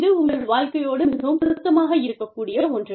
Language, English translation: Tamil, This is something, very relevant to your lives